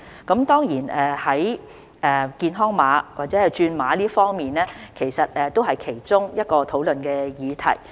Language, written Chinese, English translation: Cantonese, 健康碼或轉碼方面，也是其中一個討論的議題。, The health code or code conversion was also one of the subjects for discussion